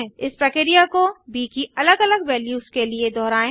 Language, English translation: Hindi, Repeat this process for different b values